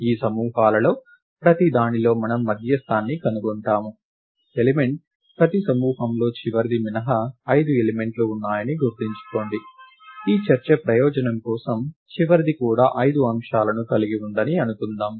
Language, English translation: Telugu, In each of these groups we find the median element, recall that in each group there are 5 elements except for the last one, for the purpose of this discussion, let us assume that the last one also has 5 elements, right